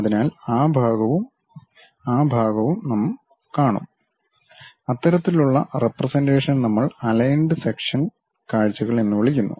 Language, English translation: Malayalam, So, that part and that part we will see; such kind of representation we call aligned section views